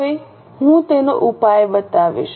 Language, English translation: Gujarati, I will show you the solution now